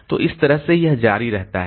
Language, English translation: Hindi, So, this way it continues